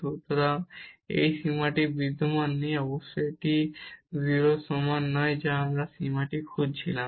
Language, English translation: Bengali, So, this limit does not exist or certainly this is not equal to 0 which we were looking for that this limit